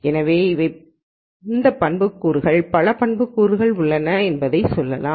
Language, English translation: Tamil, So, if those are the attributes let us say many attributes are there